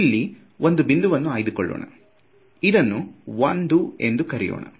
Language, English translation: Kannada, So, for example, let us take one point over here ok so, let us call this 1 0 right